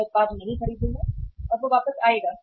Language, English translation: Hindi, I will not buy the product and he or she comes back